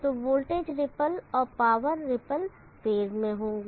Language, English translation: Hindi, So the power ripple in the voltage ripple will be in phase